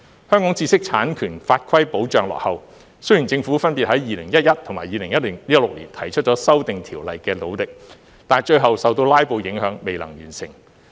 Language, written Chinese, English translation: Cantonese, 香港知識產權法規保障落後，雖然政府分別在2011年和2016年提出修訂條例的努力，但最後受"拉布"影響，未能完成。, The law on protecting intellectual property in Hong Kong is lagging behind . Despite the efforts by the Government to amend the law in 2011 and 2016 respectively they were futile due to filibusters